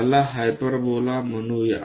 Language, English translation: Marathi, Let us call hyperbola